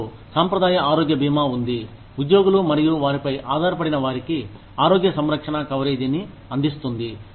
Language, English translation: Telugu, We have traditional health insurance, provides health care coverage, for both employees and their dependents